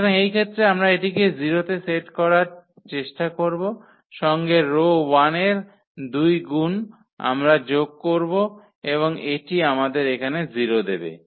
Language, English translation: Bengali, So, in this case we will try to set this to 0 here with two times the row 1 we will add and that will give us 0 here